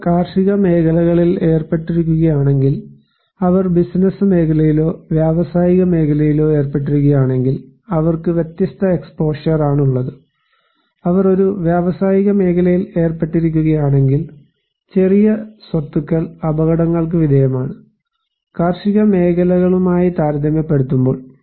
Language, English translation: Malayalam, Like, if they are engaged in agricultural sectors, if they are engaged in business sector or industrial sectors, they have different exposure, if they are engaged in an industrial sector, small properties are exposed to hazards, then compared to in agricultural sectors